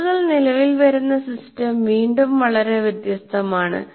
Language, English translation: Malayalam, So the system under which the course is offered is very different again